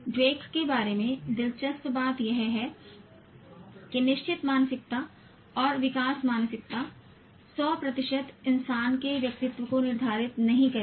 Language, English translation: Hindi, The interesting thing that Dweck talks about is that fixed mindset and growth mindset will not 100% determine the personality of a human being